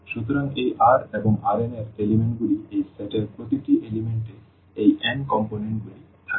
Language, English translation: Bengali, So, this R and the elements of R n will have these n elements the n components in each element of this of this set